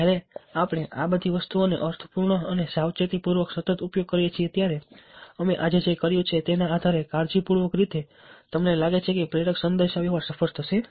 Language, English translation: Gujarati, so when we use all this things in a meaningful and careful, sustained way carefully sustained way, based on what we have done today, you feel that, or i am sure that you will get to know that persuasive communication will be successful